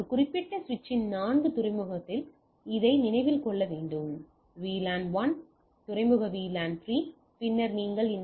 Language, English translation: Tamil, But one thing need to be kept in mind this at four port of a particular switch is VLAN 1, other port is VLAN 3